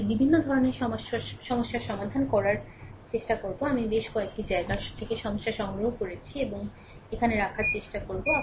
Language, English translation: Bengali, But verities of problem will try to solve I have collected problem from several places and try to put it here